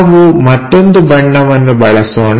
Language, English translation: Kannada, Let us use other colour, this is P